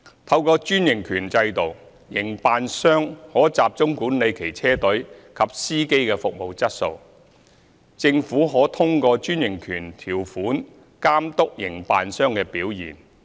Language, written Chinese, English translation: Cantonese, 透過專營權制度，營辦商可集中管理其車隊及司機的服務質素，政府可通過專營權條款監督營辦商的表現。, Under the franchise system the operators can focus on managing the service quality of their fleets and drivers while the Government can monitor the operators performance through the franchise terms